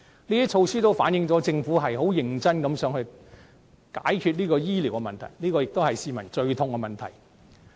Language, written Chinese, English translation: Cantonese, 以上措施反映出政府想認真解決市民最痛的醫療問題。, These measures show that the Government is intent on solving health care issues of the utmost concern to the people